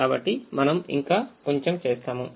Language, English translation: Telugu, we have to do something more